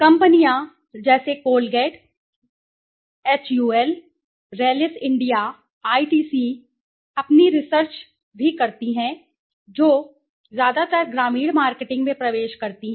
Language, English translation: Hindi, Companies do their own research also like Colgate, HUL, Rallis India, ITC which are mostly they have entered into the rural marketing in a bigger